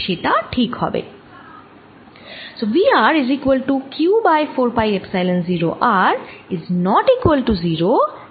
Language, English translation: Bengali, that would be fine